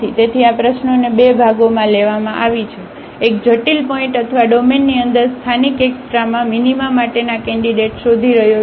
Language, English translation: Gujarati, So, this problem is taken into two parts: one is finding the critical points or the candidates for local extrema minima inside the domain